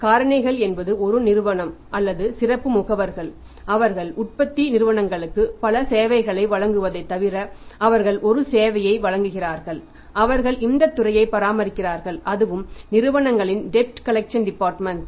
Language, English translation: Tamil, Factors is a agency or specialized agents apart from apart from providing many services to the manufacturing companies they provide one service that they maintain this department also that is debt collection department of the companies